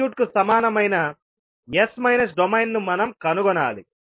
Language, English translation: Telugu, We have to find out the s minus domain equivalent of the circuit